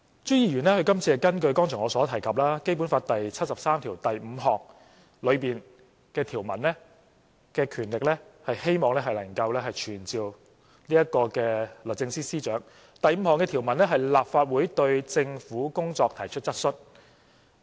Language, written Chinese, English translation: Cantonese, 朱議員今次根據剛才我所提及《基本法》第七十三條第五項的條文和權力，希望能夠傳召律政司司長，第五項的條文是立法會"對政府的工作提出質詢"。, This time Mr CHU hopes to summon the Secretary for Justice in accordance with the provision and power found in Article 735 of the Basic Law which I have just mentioned . That provision is for the Legislative Council to raise questions on the work of the government